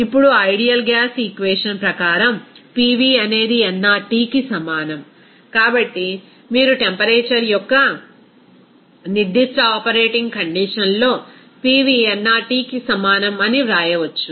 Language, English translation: Telugu, Now, as per that ideal gas equation, that is PV is equal to nRT, so based on which you can say that at a particular operating condition of temperature, then you can write that PV is equal to nRT